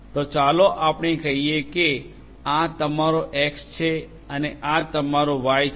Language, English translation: Gujarati, So and let us say that this is your X and this is your Y